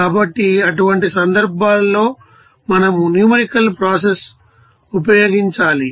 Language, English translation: Telugu, So, in such cases we need to use numerical process